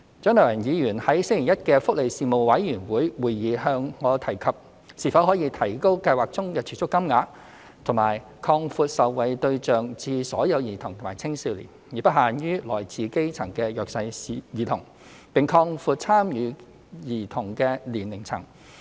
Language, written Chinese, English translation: Cantonese, 蔣麗芸議員在星期一的福利事務委員會會議向我提及是否可以提高計劃中的儲蓄金額及擴闊受惠對象至所有兒童及青少年，而不限於來自基層的弱勢兒童，並擴闊參與兒童的年齡層。, At the meeting of the Panel on Welfare Services held on Monday Dr CHIANG Lai - wan asked me whether the savings target of the Fund could be increased; whether the target beneficiaries could be expanded to all children and adolescents instead of confining to the disadvantaged children at the grassroots level and whether the scope of beneficiaries could be expanded to cover children of all ages